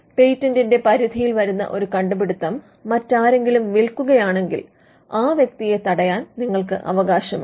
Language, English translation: Malayalam, If somebody else sells a invention that is covered by a patent you have a right to stop that person